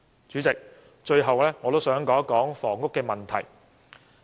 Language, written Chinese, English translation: Cantonese, 主席，我最後想討論房屋問題。, President lastly I would like to discuss the housing issue